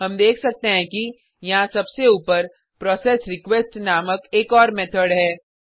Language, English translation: Hindi, We can see that there is one more method named processRequest at the top